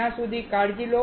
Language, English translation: Gujarati, Till then, take care